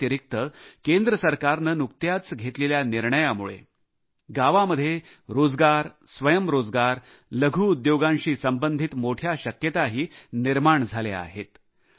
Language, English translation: Marathi, Besides that, recent decisions taken by the Central government have opened up vast possibilities of village employment, self employment and small scale industry